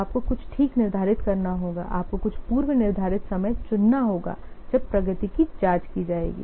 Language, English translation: Hindi, So you have to determine some pre day, you have to fix some predetermined times when the progress is checked